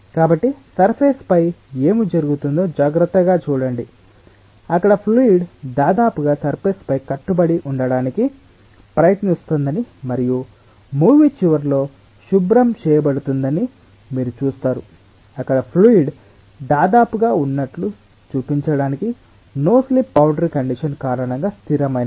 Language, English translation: Telugu, let me play that again so that you can see it again so carefully see what happens on the surface, you see that there the fluid almost tries to adhere to the surface and at the end that will be cleaned off at the end of the movie, just to show that there, ah it was, the fluid was almost like a stagnant one because of the no slip boundary condition